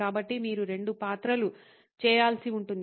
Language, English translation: Telugu, So, you will have to do two roles